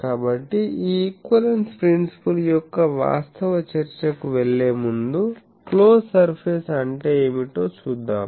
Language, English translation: Telugu, So, also before going to this actual discussion of this equivalence principle also what is the close surface